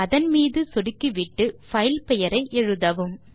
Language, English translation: Tamil, Just click on it and type the file name